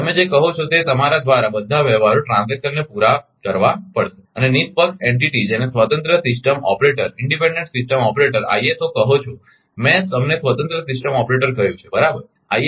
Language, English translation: Gujarati, All the transactions have to be cleared through an your your what you call and impartial entity called an independent system operator ISO I told you, an independent system operator right